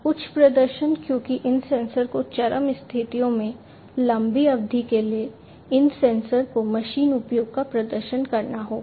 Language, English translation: Hindi, High performing because, you know, these sensors will have to perform for long durations of machine use under extreme conditions these sensors will have to perform